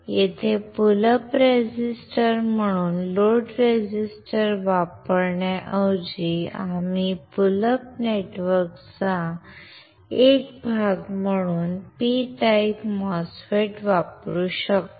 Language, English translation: Marathi, Here, instead of using the load resistors as a pullup resistor, we can use P type MOSFET as a part of pullup network